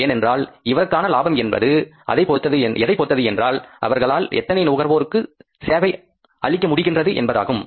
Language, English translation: Tamil, Because his profit to a larger extent depends upon if he is able to serve the larger number or the largest number of the customers